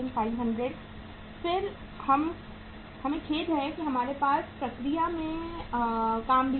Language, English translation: Hindi, Then we have sorry we have the work in process also